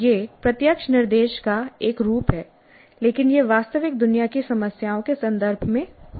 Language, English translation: Hindi, It is a form of direct instruction but it occurs in the context of real world problems